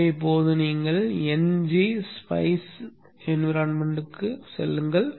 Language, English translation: Tamil, So now you go into the NG Spice environment